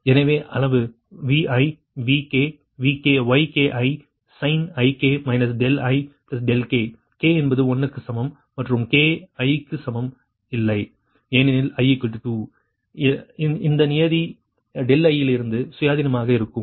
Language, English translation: Tamil, so magnitude: vi vk yik sin, theta ik minus delta i plus delta k, k is equal to one to and k not is equal to i, because when i is equal to two, this term is independent of delta i, so it will become zero, right